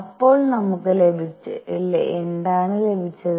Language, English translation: Malayalam, So, what have we got